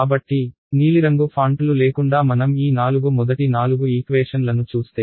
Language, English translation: Telugu, So, if I look at these four the first four equations without the blue fonts